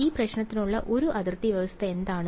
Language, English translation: Malayalam, What is a boundary condition for this problem